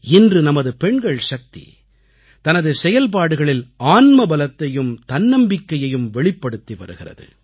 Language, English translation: Tamil, Today our woman power has shown inner fortitude and selfconfidence, has made herself selfreliant